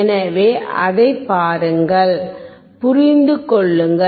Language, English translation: Tamil, So, look at it, understand it